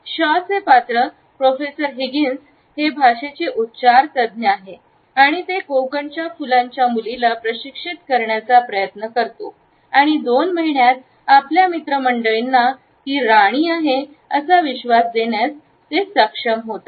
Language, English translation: Marathi, Shaw’s character Professor Higgins is an expert of phonetics and he tries to coach a cockney flower girl and is able to pass on this young flower cockney girl as a duchess within a couple of months in his friend circle